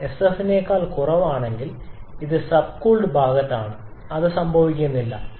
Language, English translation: Malayalam, If it is less than Sf then it is on the sub cold side which hardly happens